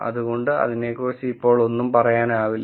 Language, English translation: Malayalam, So, I cannot say anything about it now